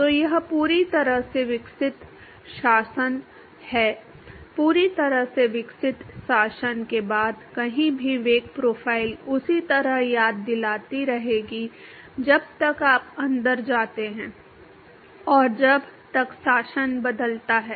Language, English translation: Hindi, So, this is x fully developed regime, anywhere after the fully developed regime the velocity profile will continue to remind the same as long as you go inside and as long as the regime changes